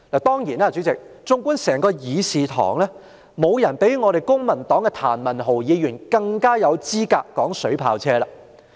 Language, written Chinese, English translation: Cantonese, 當然，主席，縱觀整個會議廳，沒有人比我們公民黨的譚文豪議員更有資格談論水炮車。, Of course Chairman in the entire Chamber when it comes to discussing water cannon vehicles no one is more qualified than Mr Jeremy TAM from our Civic Party